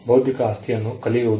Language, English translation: Kannada, Learning intellectual property